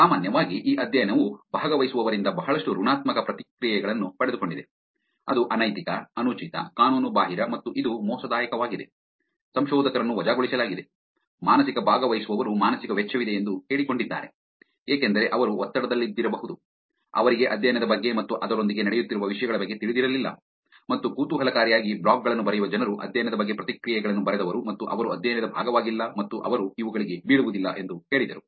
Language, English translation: Kannada, In general, this study got a lot of negative reactions from the participants which is like it was unethical, inappropriate, illegal and it was also fraudulent, researchers fired researchers were fired, psychological participants claimed that there were psychological cost, because I think they were under pressure, they did not know about the study happening and things along that, and interestingly there were people who wrote blogs, people who wrote reactions about the study and they said that they were not part of the study and they did not fall for these attacks with somebody else fell for, which also shows that admitting that I am vulnerable is actually is also hard; I think that is a misunderstanding over spoofing emails, underestimation of publicly available information